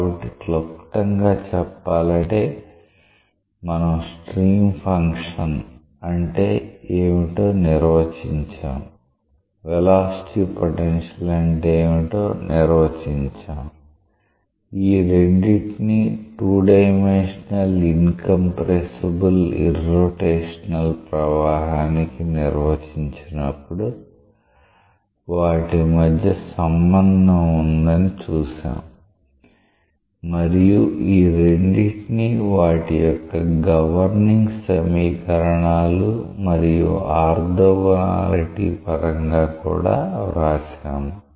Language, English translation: Telugu, So, in summary what we can see, that we have defined what is the stream function, we have defined what is the velocity potential, we have seen that there is a relationship between these two when we have both defined that is 2 dimensional incompressible irrotational flow and both in terms of their governing equations and also in terms of their orthogonality